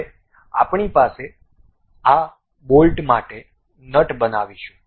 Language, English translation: Gujarati, Now, we will construct a nut for this bolt